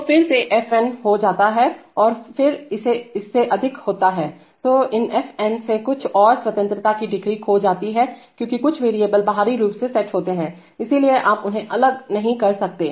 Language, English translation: Hindi, So then it becomes f n and then more than that, then of these f n some more other degrees of freedom are lost because some of the variables are externally set, so you cannot vary them